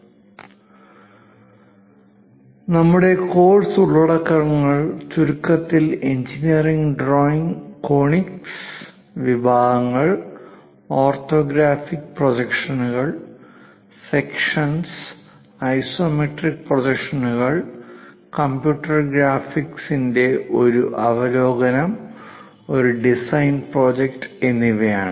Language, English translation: Malayalam, To briefly recap our course contents are introduction to engineering drawing and conic sections, orthographic projections, sections, isometric projections , overview of computer graphics in this part we will cover, and a design project